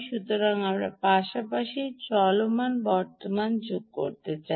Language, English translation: Bengali, so we may want to add the quiescent current as well